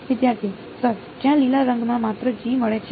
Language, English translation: Gujarati, Sir, where in the green just G gets